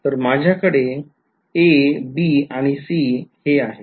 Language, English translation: Marathi, So, I have a, b and c ok